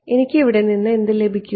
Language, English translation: Malayalam, What do I get from here